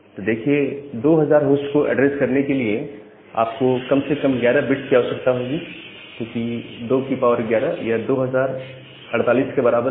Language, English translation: Hindi, Now, to address 2000 host, you require at least 11 bits, because 2 2 to the power 11 becomes equal to 2